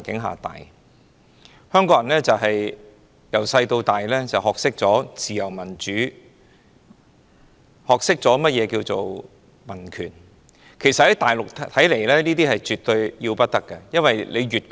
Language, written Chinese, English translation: Cantonese, 香港人自小就學懂自由民主、民權。在內地，凡此種種皆絕對要不得。, Hong Kong people have been taught freedom democracy and civil rights ever since childhood